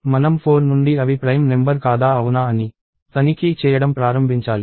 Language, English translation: Telugu, We will have to start checking from 4 onwards, if they are prime number or not